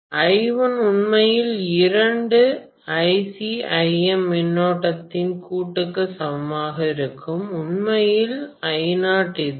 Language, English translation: Tamil, So I1 will be equal to actually the summation of these two currents, IC and IM, which is actually I naught